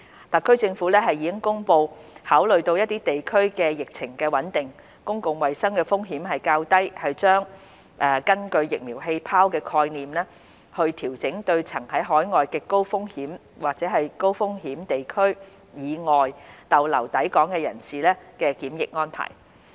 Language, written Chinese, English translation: Cantonese, 特區政府亦已公布考慮到一些地區的疫情穩定，公共衞生風險較低，政府將根據"疫苗氣泡"的概念，調整對曾在海外極高及甚高風險地區以外逗留的抵港人士的檢疫安排。, The SAR Government has also announced that considering that the epidemic situations in certain places have stabilized and pose lower public health risks with reference to the vaccine bubble concept it will adjust the quarantine arrangements for persons who have stayed in overseas places other than extremely high - risk and very high - risk places